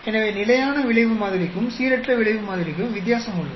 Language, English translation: Tamil, So there is a difference between fixed effect model and the random effect model